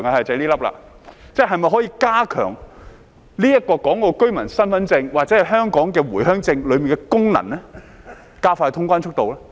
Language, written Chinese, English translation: Cantonese, 是否可以加強香港居民身份證或回鄉證當中的功能，以加快通關速度呢？, Is it possible to enhance That is the piece . Is it possible to enhance the functions of the Hong Kong identity card or the Home Visit Permit so as to speed up customs clearance?